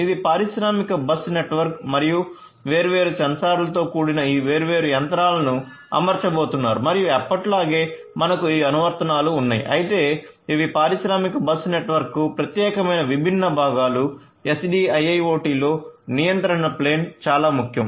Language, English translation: Telugu, So, this is your industrial bus network and to which all this different machinery with different sensors etcetera are going to be fitted and as usual on top you have these applications, but this is very important these are the different components specific to industrial bus network for the control plane in SDIIoT